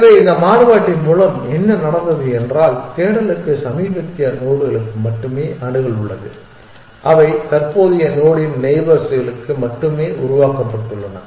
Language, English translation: Tamil, So, what is happened with this variation is that the search has access only to the latest nodes that have been generated only to the neighbors of the current node it is infect